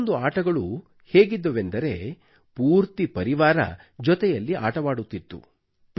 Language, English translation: Kannada, Some games saw the participation of the whole family